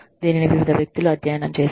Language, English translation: Telugu, It has been studied by various people